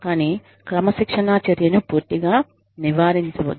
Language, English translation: Telugu, Avoid disciplinary action, entirely